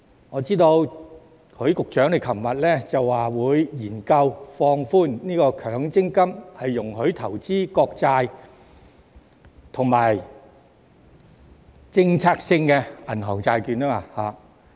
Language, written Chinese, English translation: Cantonese, 我知道許局長昨天表示會研究放寬強積金，容許投資國債及政策性銀行債券。, I know Secretary HUI indicated yesterday that he would look into relaxing MPF to permit investment in sovereign bonds and policy bank bonds